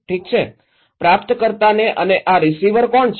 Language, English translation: Gujarati, Okay, to the receiver, and who are these receivers